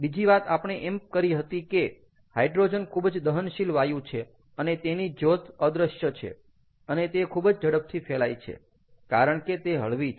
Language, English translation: Gujarati, the other thing we said was hydrogen is a highly combustible gas and the flames are invisible and it spreads very rapidly because its light